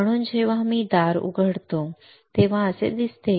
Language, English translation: Marathi, So, when I open the door it looks like this